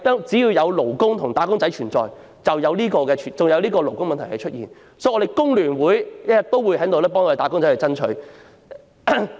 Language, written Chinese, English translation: Cantonese, 只要有"打工仔"，就會有勞工問題，所以工聯會一定會繼續為"打工仔"爭取權益。, So long as there are wage earners there will be labour issues and FTU would surely continue to fight for workers rights and interests